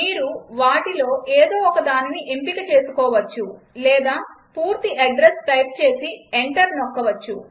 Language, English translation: Telugu, You may choose one of these or type in the complete address and press enter